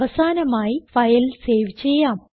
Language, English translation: Malayalam, We will finally save the file